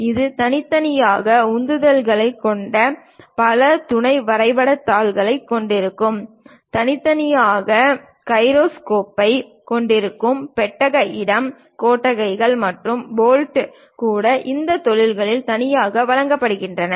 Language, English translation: Tamil, And this will have many sub drawing sheets having thrusters separately, having gyroscope separately, compartmental space separately, even nuts and bolts separately supplied to these industries